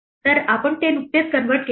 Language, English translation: Marathi, So, we have just converted it